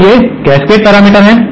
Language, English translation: Hindi, So, these are the cascade parameters